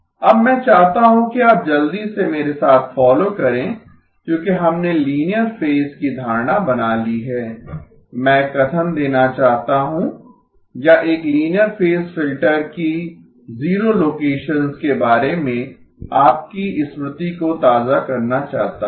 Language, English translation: Hindi, ” Now I want you to quickly follow along with me because we have made the assumption of linear phase, I want to make a statement or just refresh your memory about the zero locations of a linear phase filter, zero locations